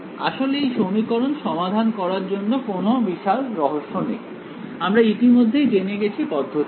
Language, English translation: Bengali, Actually solving this these equation is now there is no great mystery over here, we have already know it what is the process